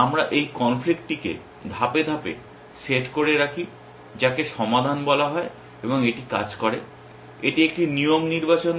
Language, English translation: Bengali, We keep this conflict set to step which is called resolve and it work it does is it select a rule